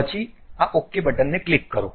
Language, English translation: Gujarati, 10 and then click this Ok button